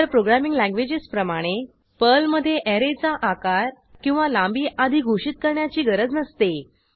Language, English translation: Marathi, Unlike other programming languages, there is no need to declare an array or its length before using it in Perl